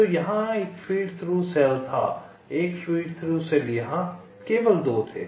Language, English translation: Hindi, so there was one feed through cell here, one feed through cell, here only two